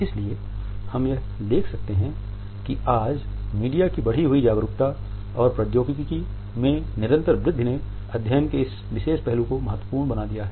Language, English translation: Hindi, So, we can find that the enhanced media awareness as well as the continuous growth in the technology today has made this particular aspect of a study a significant one